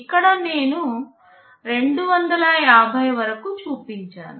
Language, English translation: Telugu, Here I have shown up to 256